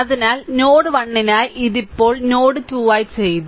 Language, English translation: Malayalam, So, for node 1 this is done right now for node 2 ah for node 2